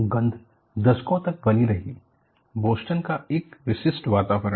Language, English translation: Hindi, The smell remained for decades, a distinctive atmosphere of Boston